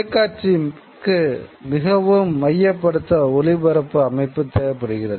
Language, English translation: Tamil, You know, television requires a far more centralized system of transmission